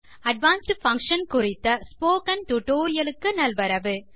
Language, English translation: Tamil, Welcome to the Spoken Tutorial on Advanced Function